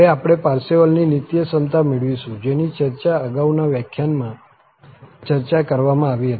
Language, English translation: Gujarati, And, now, we will get to the Parseval's identity, which was already discussed in previous lecture